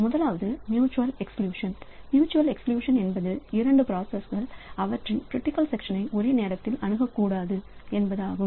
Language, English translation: Tamil, First one is the mutual exclusion that is two processes should not access their critical section simultaneously